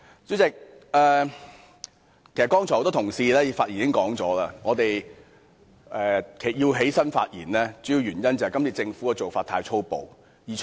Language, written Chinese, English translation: Cantonese, 主席，很多同事剛才已經指出，我們站起來發言，主要是因為政府今次的做法太粗暴。, Chairman many colleagues have pointed out that we stand up to speak mainly because the Government has been too overbearing